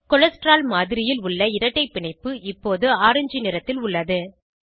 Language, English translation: Tamil, The double bond in the cholesterol model is now in orange color